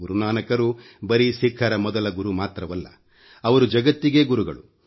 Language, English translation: Kannada, Guru Nanak Dev ji is not only the first guru of Sikhs; he's guru to the entire world